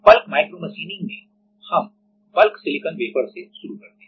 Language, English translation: Hindi, So, in bulk micromachining we start with bulk silicon wafer